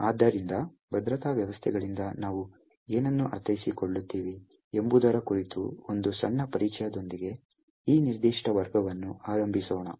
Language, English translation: Kannada, So, let us start this particular class with a small introduction about what we mean by Security Systems